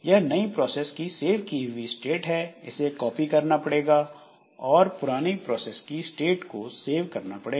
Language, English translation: Hindi, So, this is the saved state of the new process has to be copied and we must save the state of the old process